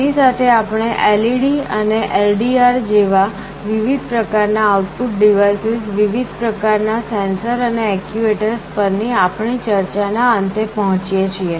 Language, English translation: Gujarati, With this we come to the end of our discussion on various kinds of output devices like LEDs and LDRs, various kind of sensors and actuators